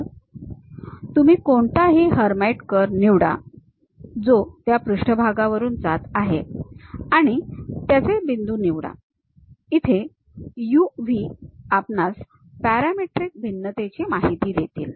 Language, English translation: Marathi, So, you pick any Hermite curve, which is passing on that surface pick that point, where u v information we have parametric variation